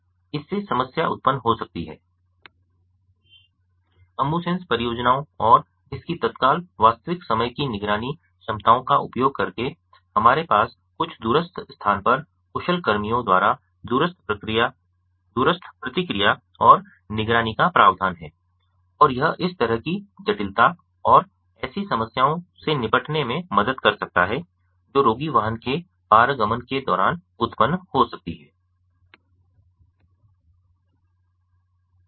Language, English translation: Hindi, using the ambusens projects and its instant real time monitoring capabilities, ah, we have the provision for remote feedback and monitoring by the skilled personnels at some remote place, and this significantly can help in dealing with such complicated complication and such problems that may arise during transit in an ambulance